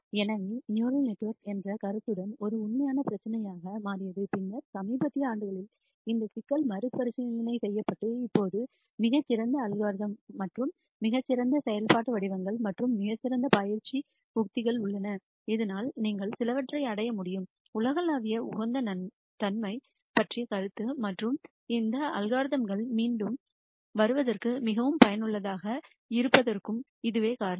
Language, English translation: Tamil, So, that became a real issue with the notion of neural networks and then in the recent years this problem has been revisited and now there are much better algorithms, and much better functional forms, and much better training strategies, so that you can achieve some notion of global optimality and that is reason why we have these algorithms make a comeback and be very useful